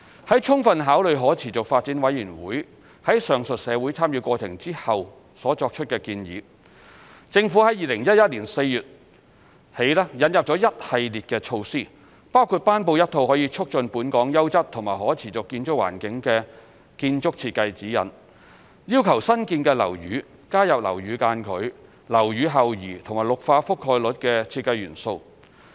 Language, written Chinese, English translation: Cantonese, 在充分考慮可持續發展委員會於上述社會參與過程後所作出的建議後，政府自2011年4月起引入一系列措施，包括頒布一套可促進本港優質和可持續建築環境的建築設計指引，要求新建樓宇加入樓宇間距、樓宇後移和綠化覆蓋率的設計元素。, Having thoroughly considered the recommendations of SDC after the above public engagement exercise the Government has introduced a series of measures since April 2011 including the promulgation of Sustainable Building Design Guidelines SBDG to foster a quality and sustainable built environment in Hong Kong . The guidelines require the incorporation of design elements viz . building separation building setback and site coverage of greenery in new buildings